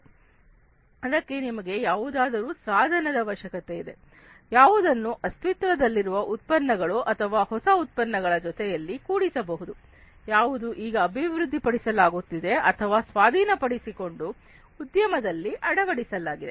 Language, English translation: Kannada, So, you need some kind of a tool which can be integrated with the existing products or the new products that are being developed or are being acquired and implanted in the industry